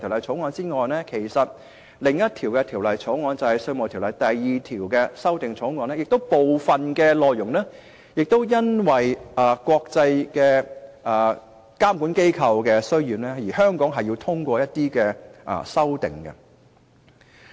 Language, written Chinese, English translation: Cantonese, 除了這項《條例草案》外，另一項《2017年稅務條例草案》的部分內容，亦是因應國際監管機構的要求，對《稅務條例》作出一些修訂。, In addition to this Bill the Inland Revenue Amendment No . 2 Bill 2017 also makes amendments to the Inland Revenue Ordinance in response to the requirements of the international regulatory authorities